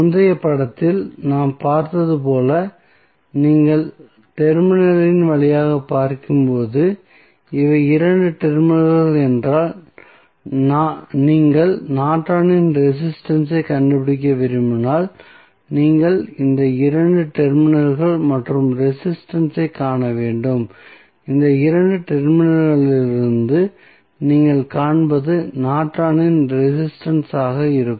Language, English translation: Tamil, So, as we saw in the previous figure, so, when you look through the terminal suppose, if these are the 2 terminals, and you want to find out the Norton's resistance, then you have to look through these 2 terminal and the resistance which you will see from these 2 terminals would be Norton's resistance